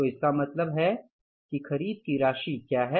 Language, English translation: Hindi, So it means what is the amount of purchases